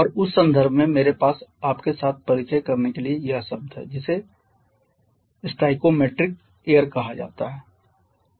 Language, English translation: Hindi, And in that context I have this term to introduce to you which is called the stoichiometry air